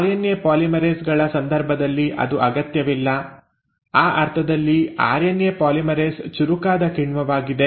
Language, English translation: Kannada, That is not required in case of RNA polymerases, in that sense RNA polymerase is a smarter enzyme